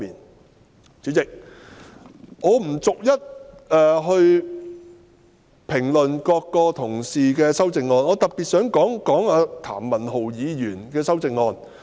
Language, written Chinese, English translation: Cantonese, 代理主席，我不逐一評論各位議員的修正案，我只想特別談論譚文豪議員的修正案。, Deputy President I am not going to comment on Members amendments one by one . I just wish to talk specifically about Mr Jeremy TAMs amendment